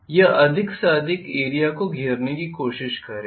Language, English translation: Hindi, This will try to encompass as much area as possible